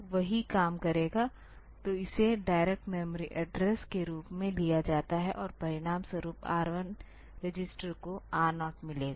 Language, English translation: Hindi, So, this will do the same thing like when we are say at like 1; so, this is taken as the direct memory address and as a result the R 1 register will get R 0